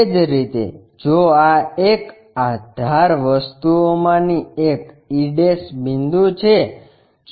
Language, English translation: Gujarati, Similarly, if this edge one of the thing this e' point